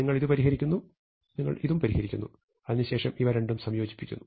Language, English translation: Malayalam, You solve this separately, you solve this separately, and now you want to somehow combine